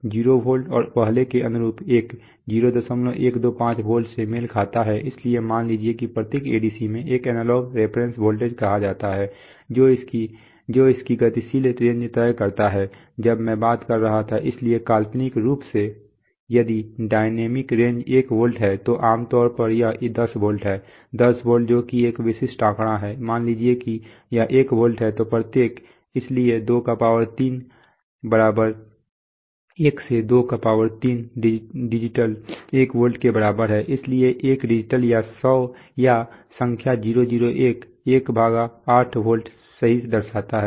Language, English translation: Hindi, 125 volt it so suppose the every ADC has what is called an analog reference voltage which decides it's dynamic range when I was talking about, so hypothetically, If the dynamic range is 1volt generally it is 10 volts, 10 volts which is a typical figure, suppose it is 1volt then the, then each, so 23=1 so 1 23 digital is equal to 1 volt so 1 digital or the number 001 represents 1/8 volts right